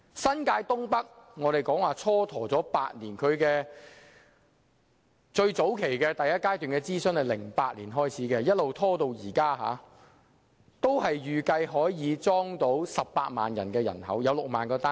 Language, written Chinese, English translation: Cantonese, 新界東北的發展計劃蹉跎了8年，第一階段諮詢早在2008年已經開始，然後一直拖延至今，但預計也可以容納18萬人口，提供6萬個單位。, The North East New Territories Development plans have been stalled for eight years now . Stage I of the consultation began in as early as 2008 and the development has been stalled to date . It is estimated that the area can accommodate 180 000 people and provide 60 000 housing units